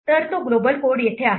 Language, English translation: Marathi, So here is that global code